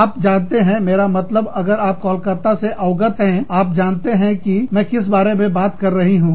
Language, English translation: Hindi, You know, i mean, if you are familiar with Calcutta, you know, what i am talking about